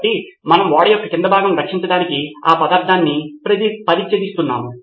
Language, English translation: Telugu, So we are sacrificing that material to protect our hull of the ship